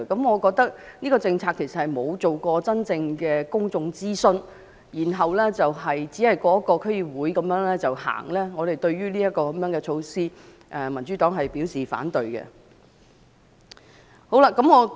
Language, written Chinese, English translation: Cantonese, 我認為這項政策沒有進行真正的公眾諮詢，只是區議會通過後便實行，對於這項措施，民主黨表示反對。, I think this policy has not gone through genuine public consultation . It is implemented after being given the green light by the District Councils only . The Democratic Party expresses its opposition to this measure